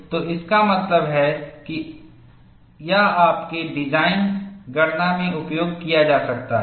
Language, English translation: Hindi, So, that means, this could be utilized in your design calculation